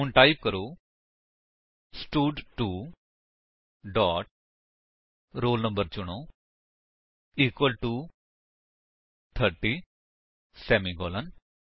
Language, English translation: Punjabi, So, type: stud2 dot select roll no equal to 30 semicolon